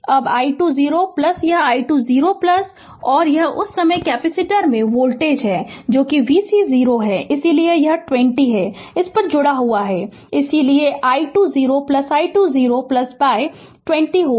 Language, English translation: Hindi, Now, i 2 0 plus your ah this is your i 2 0 plus and at that time voltage across the capacitor that is v c 0 plus, so it is 20 ohm is connected across this, so i 2 0 plus will v c 0 plus by 20